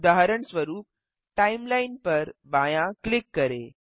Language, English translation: Hindi, For example, Left click Timeline